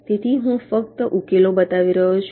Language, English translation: Gujarati, so i am showing the solutions only a